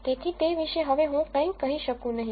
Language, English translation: Gujarati, So, I cannot say anything about it now